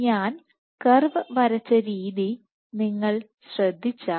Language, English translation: Malayalam, So, if you notice the way I drew have drawn the curve